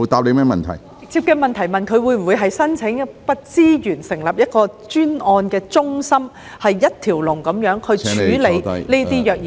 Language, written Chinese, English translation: Cantonese, 我剛才直接問他會否申請資源成立一間專案中心，以一條龍的方式處理虐兒個案。, I have put a direct question to him just now asking him whether he would seek resources for setting up a dedicated centre to handle child abuse cases at one stop